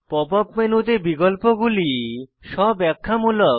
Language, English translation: Bengali, The items in the Pop up menu are self explanatory